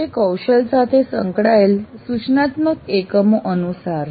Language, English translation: Gujarati, It is as per the instructional units associated with competencies